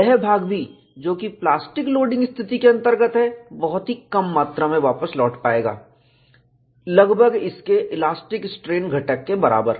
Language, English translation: Hindi, The portion, which is subjected to plastic loading condition will also recover, by a very small amount equivalent to its elastic strain component